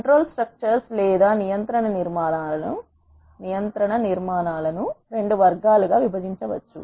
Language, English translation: Telugu, Control structures can be divided into 2 categories